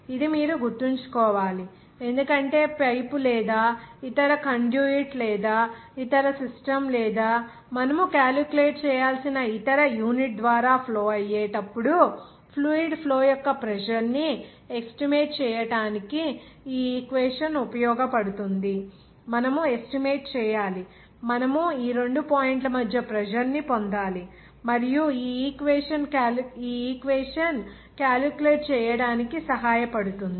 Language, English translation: Telugu, This you have to remember because this equation will be useful to estimate the pressure of the fluid flow whenever it will be flowing through the pipe or any other conduit or any other system or any other unit where you need to calculate, you have to estimate, you have to obtain the pressure between two points and this equation will be helpful to calculate